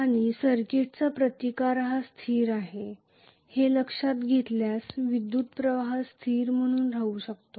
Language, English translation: Marathi, And considering that resistance of the circuit is a constant, the current can remain as a constant